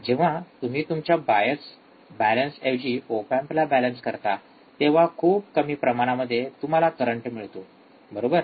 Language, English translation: Marathi, When you balanced your op amp, not bias balance, your op amp, then the small amount of current that you find, right